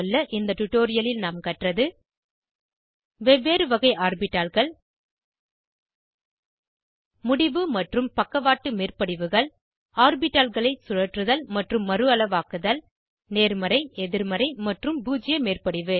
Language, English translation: Tamil, In this tutorial we have learnt, * About different types of orbitals * End on and side wise overlaps * Rotation and resize of orbitals * Positive, negative and zero overlap